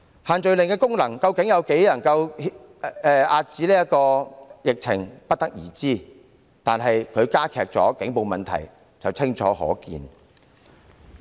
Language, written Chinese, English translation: Cantonese, 限聚令究竟在多大程度上能遏止疫情，我們不得而知，但它加劇警暴問題卻清楚可見。, We are not sure to what extent can the social gathering restrictions serve to contain the epidemic but it is blatantly clear that they have aggravated police brutality